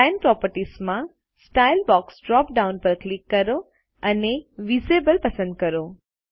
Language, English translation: Gujarati, In Line properties, click on the Style drop down box and select Invisible